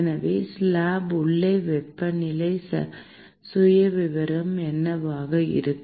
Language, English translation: Tamil, So, what will be the temperature profile inside the slab